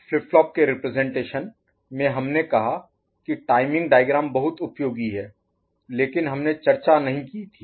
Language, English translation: Hindi, Now in the representation of the flip lop, we said that timing diagram is very useful, but we didn't take up